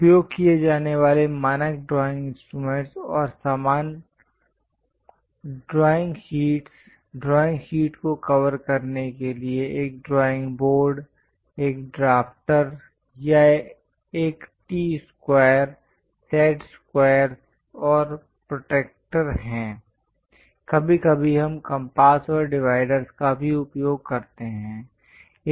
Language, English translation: Hindi, The standard drawing instruments and accessories used are drawing sheets , a drawing board to cover drawing sheet, a drafter or a T square, set squares, and protractor; occasionally, we use compasses and dividers also